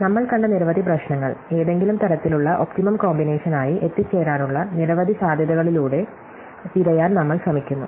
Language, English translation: Malayalam, So, many of the problems that we have seen, we are trying to search through a number of possibilities to arrive at some kind of optimum combination